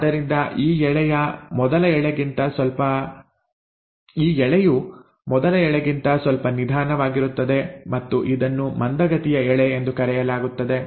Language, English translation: Kannada, So this strand is a little is slower than the first strand and it is called as the lagging strand